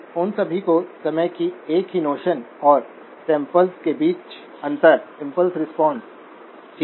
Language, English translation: Hindi, All of them seem to have the same notion of time and the spacing between the samples, impulse response, okay